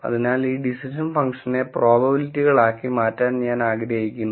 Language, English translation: Malayalam, So, what I would like to do is I want to convert this decision function into probabilities